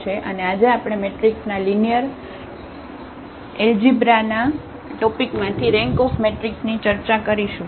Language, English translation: Gujarati, And today we will discuss Rank of a Matrix from this topic of the matrix which are linear algebra